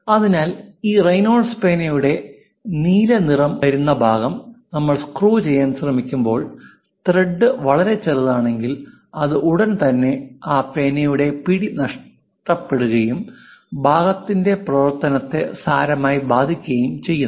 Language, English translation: Malayalam, So, when you are trying to screw this Reynolds ah pen the blue color part, if the thread is too small it immediately loses that pen and the functionality of the part severely affects